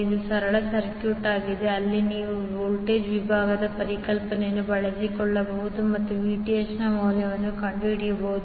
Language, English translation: Kannada, This is simple circuit, where you can utilize the voltage division concept and find out the value of Vth